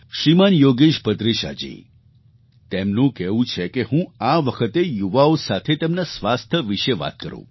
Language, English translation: Gujarati, Shriman Yogesh Bhadresha Ji has asked me to speak to the youth concerning their health